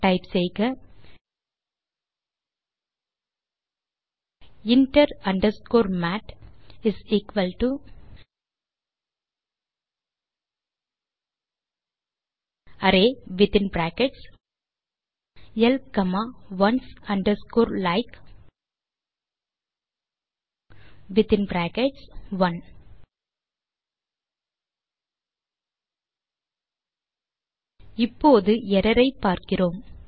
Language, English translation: Tamil, Type in the terminal inter underscore mat = array within brackets l comma ones underscore like within brackets one then closing bracket Now we can see an error